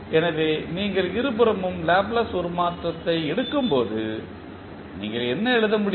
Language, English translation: Tamil, So, when you take the Laplace transform on both sides, what you can write